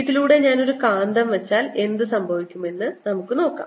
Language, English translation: Malayalam, let us now see what happens if i put a magnet through this